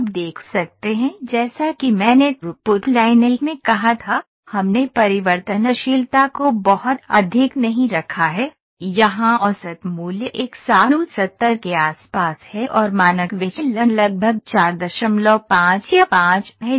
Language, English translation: Hindi, You can see as I said in throughput line 1 we did not put variability very high, the average value here is around 170 and the standard deviation is around 4